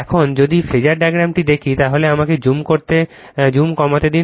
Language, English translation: Bengali, Now,now if you if you look at the phasor diagram let us let me let me reduce the zoom , right